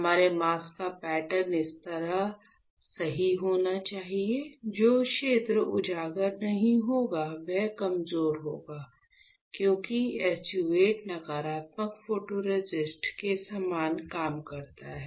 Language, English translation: Hindi, So, our mask should be having a pattern like this correct, the area which is not exposed will be weaker because SU 8 works similar to the negative photoresist